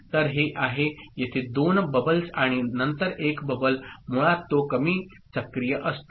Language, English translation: Marathi, So, it is 2 bubbles here and then a bubble so basically it is active low ok